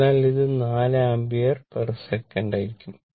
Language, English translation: Malayalam, So, it will be 4 ampere per second right